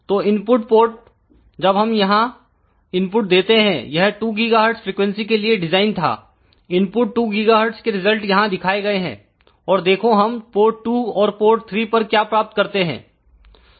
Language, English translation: Hindi, so, input port when we give the input here this was designed around 2 gigahertz frequency the results are shown here for input of 2 gigahertz